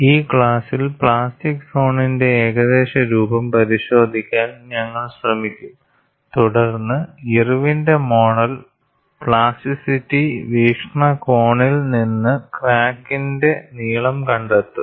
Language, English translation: Malayalam, In this class, we will try to look at the approximate shape of plastic zone, followed by Irwin's model in finding out the extension of crack length from the plasticity point of view